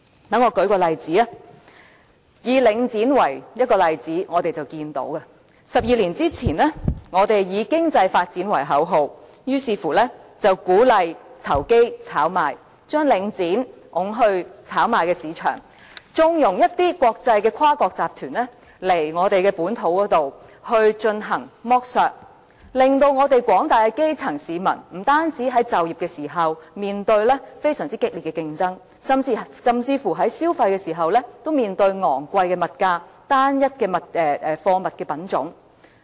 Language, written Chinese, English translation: Cantonese, 讓我舉出領展房地產投資信託基金這個例子，在12年前，我們以經濟發展為口號，於是鼓勵投機、炒賣，將領展推到炒賣市場，縱容一些跨國集團來到本土進行剝削，令廣大的基層市民，不單在就業時面對非常激烈的競爭，甚至在消費時，都要面對昂貴的物價、單一貨物的品種。, Let me use the Link Real Estate Investment Trust Link REIT as an example . Twelve years ago speculation was encouraged in the name of economic development so the Link REIT was put on the speculative market and exploitation of the local market by multi - national syndicates has since been condoned with the result that the broad masses of grass - root people have faced not only fierce employment competition but also high commodity prices and lack of goods variety in the course of consumption